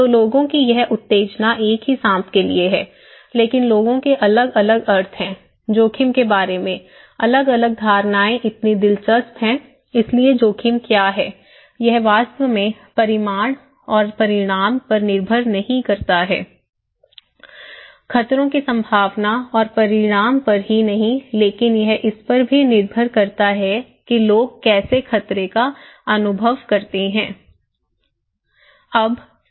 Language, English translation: Hindi, So, people have this stimulus is the same is a snake but people have different meaning, different perceptions about the risk so interesting, so what risk is; itís not, does not really depend on the magnitude and consequence, the probability and consequence of hazards but it also depends how people perceive; perceived that hazard, okay